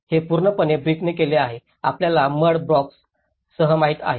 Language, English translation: Marathi, This is completely done with the bricks, you know with the mud blocks